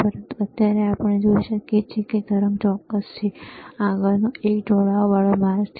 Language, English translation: Gujarati, But right now, we can see the wave is squared ok, next one which iis the ramp